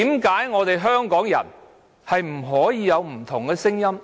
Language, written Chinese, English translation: Cantonese, 為何香港人不能有不同聲音？, How come Hong Kong people cannot have different views?